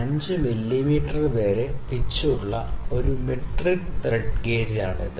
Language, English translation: Malayalam, And this is a metric thread gauge which is having range from 0